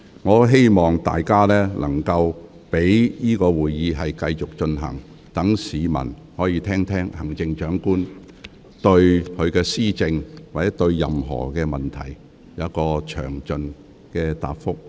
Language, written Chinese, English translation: Cantonese, 我很希望會議能夠繼續進行，讓市民聆聽行政長官就其施政或其他問題作出的詳盡答覆。, I do want this meeting to proceed so that members of the public can listen to the detailed responses of the Chief Executive in respect of her governance or other issues